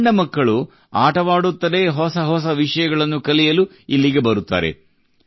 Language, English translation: Kannada, Small children come here to learn new things while playing